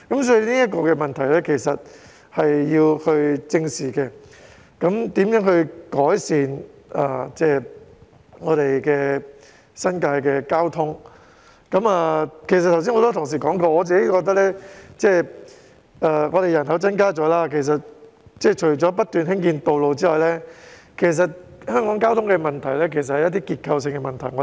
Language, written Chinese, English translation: Cantonese, 正如剛才也有很多同事提到，我個人認為新界的人口增加後，政府除了不斷興建道路外......我認為香港的交通問題其實是結構性問題。, As many colleagues mentioned just now I personally think that after the increase in the population of the New Territories in addition to building more roads continuously the Government I think the traffic problem in Hong Kong is actually a structural problem